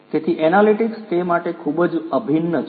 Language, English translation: Gujarati, So, analytics is very very much integral to it